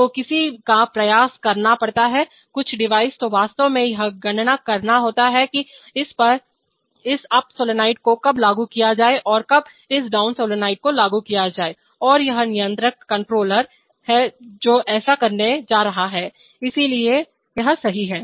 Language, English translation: Hindi, So one has to exercise, some device has to actually compute this when to apply this up solenoid and when to apply this down solenoid and it is the controller which is going to do that, so right